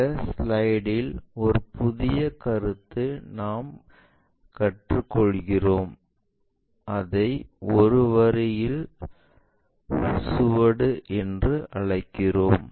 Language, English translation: Tamil, And we will learn a new concept in the slide, it is what we call trace of a line